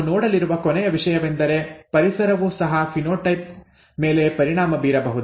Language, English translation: Kannada, The last thing that we are going to see is that even the environment could have an impact on the phenotype, okay